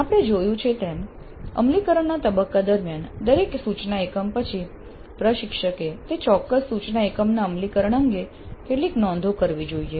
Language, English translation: Gujarati, As we noted during implementation phase, after every instructional unit the instructor must make some notes regarding that particular instruction units implementation